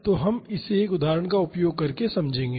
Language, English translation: Hindi, So, we will understand this using an example